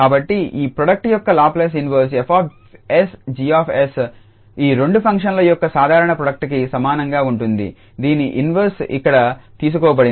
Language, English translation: Telugu, So, the Laplace inverse of this product F s G s would be equal to the simple product of these two functions whose inverse are taken here